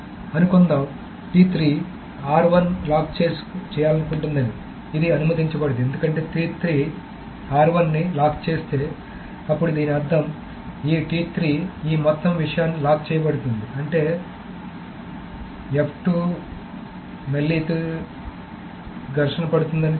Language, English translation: Telugu, So, suppose T3 wants to lock R1 it is not going to be allowed because if T3 locks R1 then it means the T3 is going to lock this entire thing which means that the lock at F2 again clashes with that at T1